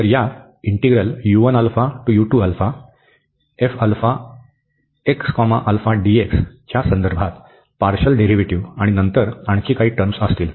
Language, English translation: Marathi, So, the partial derivative with respect to alpha of this, and then there will be some more terms